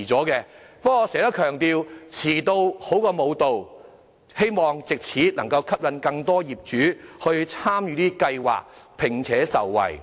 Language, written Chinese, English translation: Cantonese, 不過，我經常強調，"遲到好過無到"，希望藉此能吸引更多業主參與這計劃，從中受惠。, Yet as I often stress late is better than never . I hope this initiative will attract more property owners to participate in and benefit from the scheme